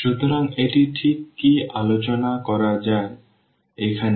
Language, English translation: Bengali, So, what exactly this let us discuss here